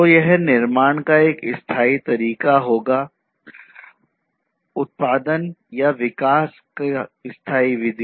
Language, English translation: Hindi, So, that will be a sustainable method of manufacturing, sustainable method of production or development